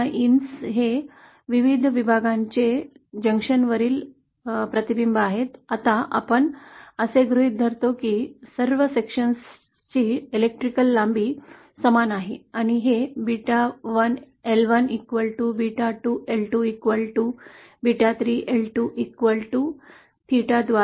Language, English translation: Marathi, Gamma ins are the reflections coefficients at the junctions of the various sections, now here we assume that all the sections have identical electrical lengths & this is given by beta1L1 is equal to beta2L2 is equal to beta 3L3 equal to some value say theta